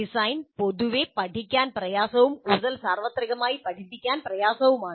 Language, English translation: Malayalam, Design is generally considered difficult to learn and more universally considered difficult to teach